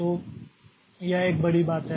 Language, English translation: Hindi, So, that is a big thing